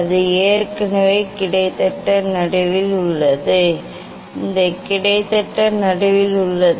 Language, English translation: Tamil, it is already almost it is in middle; it is almost it is in middle